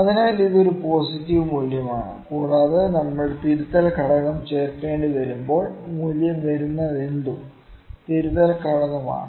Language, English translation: Malayalam, So, this is a positive value and when we need to add the correction factor; the correction factor is whatever the value comes